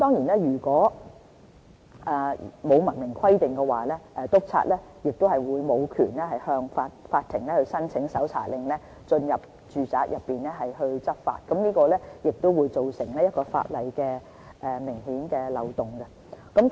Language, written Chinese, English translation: Cantonese, 如果沒有明文規定的話，督察便無權向法庭申請搜查令，進入住宅執法，造成法例中一個明顯的漏洞。, If not expressly stated in the laws inspectors cannot apply for search warrants to enter domestic premises for law enforcement otherwise it will create an obvious legal loophole